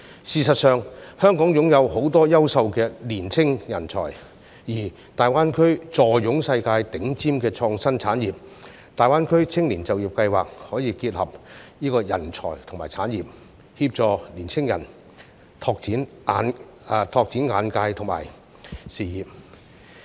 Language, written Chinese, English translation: Cantonese, 事實上，香港擁有很多優秀的年輕人才，而大灣區坐擁世界頂尖的創新產業，大灣區青年就業計劃可以結合人才及產業，協助年輕人拓展眼界及事業。, In fact Hong Kong has many talented young people and the Greater Bay Area is home to some of the worlds leading innovative industries . The Employment Scheme can help young people broaden their horizons and develop their career by combining talents and industries